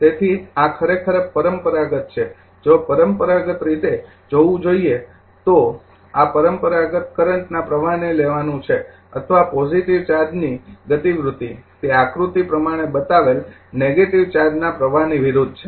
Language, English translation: Gujarati, So, this is actually convention therefore, if you look into that the convention is, this is the convention is to take the current flow or the movement of positive charge is that is opposite to the flow of the negative charges as shown in figure this is figure 1